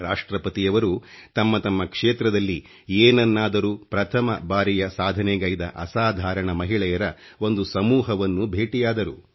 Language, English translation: Kannada, He met a group of extraordinary women who have achieved something significanty new in their respective fields